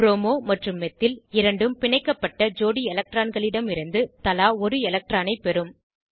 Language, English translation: Tamil, Both Bromo and methyl will get one electron each from the bonded pair of electrons